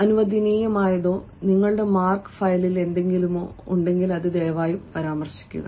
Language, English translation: Malayalam, please mention whatever is allowed or whatever is there on your marks file